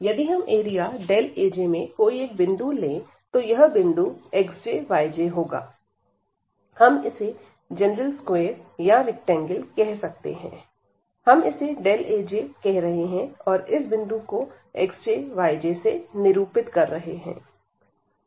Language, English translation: Hindi, So, if we take a point x j, y j are some point in the area delta A j a general point, we are calling this a general square or the rectangle, we are calling as delta A j and we take a point there at which is denoted by this x j, y j